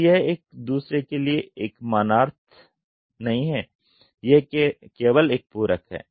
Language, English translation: Hindi, So, it is not a complimentary to each other it is only a supplementary